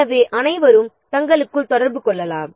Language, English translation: Tamil, So all can communicate among themselves